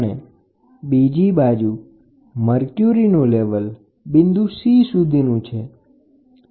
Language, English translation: Gujarati, And here it goes to a point C so, this is a mercury level